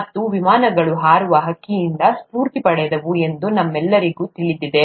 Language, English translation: Kannada, And, all of us know that the airplanes were inspired by a bird flying